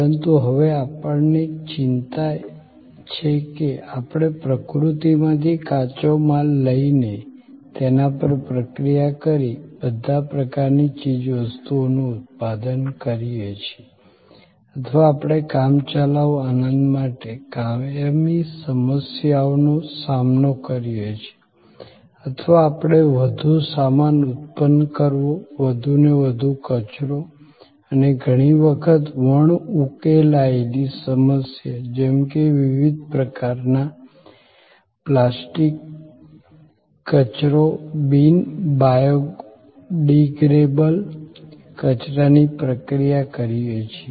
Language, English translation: Gujarati, But, we now have a concern that more we take from nature, raw materials, process them, produce all kinds of goods, all kinds of products or we creating for a temporary enjoyment, a permanent problem or we in the process of creating more and more goods, creating more and more rubbish and waste and often an unsolvable problem like various kinds of plastic waste, non biodegradable waste